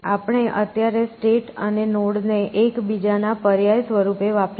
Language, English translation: Gujarati, So, we will use state versus node interchangeably at least for now